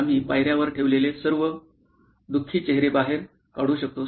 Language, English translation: Marathi, We can pull out all the sad faces that we put on steps